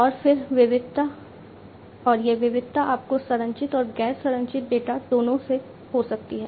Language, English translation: Hindi, And then variety and this variety could be you can have both structured as well as non structured data